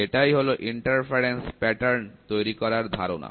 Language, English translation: Bengali, So, this is the concept for creating interference patterns